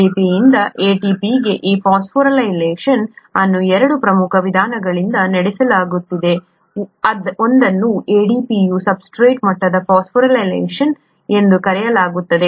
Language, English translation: Kannada, This phosphorylation of ADP to ATP is carried out by 2 major means; one is called substrate level phosphorylation of ADP